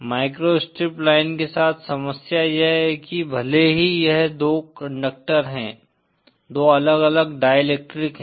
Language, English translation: Hindi, The problem with the micro strip line is that, it is, since it consist of two conductors, two different dielectric materials